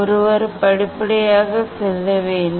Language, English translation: Tamil, one has to go step by step